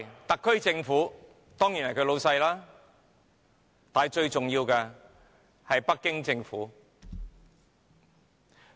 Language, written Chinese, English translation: Cantonese, 特區政府當然是他們的老闆，但最重要的是北京政府。, The SAR Government is one of course but the Beijing Government is the most important one